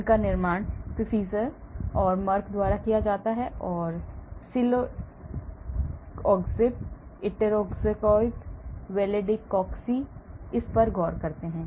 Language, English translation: Hindi, these are manufactured by Pfizer and Merck and so on, celecoxib, etoricoxib, valdecoxib look at this